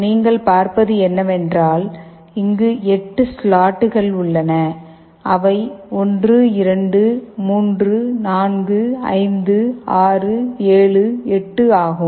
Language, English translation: Tamil, What you see is that there are 8 slots, which are cut … 1, 2, 3, 4, 5, 6, 7, 8